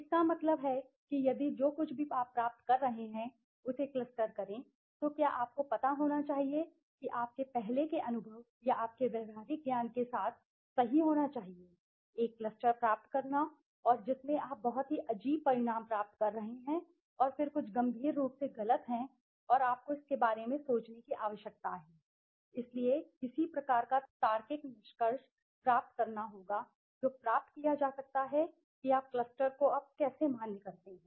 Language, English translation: Hindi, That means if you cluster whatever you are getting you should that should be you know that should be coming true with your earlier experience or your practical knowledge suppose you are getting a cluster and in which you are getting very strange result and then there is something seriously wrong and you need to think about it so there has to be some kind of a logical conclusion that can be derived okay how do you validate the cluster now